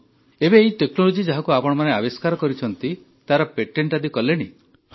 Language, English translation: Odia, Now this technology which you have developed, have you got its patent registered